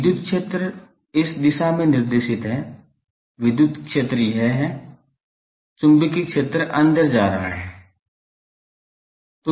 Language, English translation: Hindi, The electric field is this directed; electric field is this directed, the magnetic field is going inside